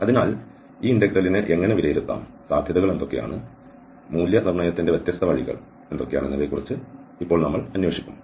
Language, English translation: Malayalam, So, now, we will explore that how to evaluate this integral and what are the possibilities, different ways of evaluation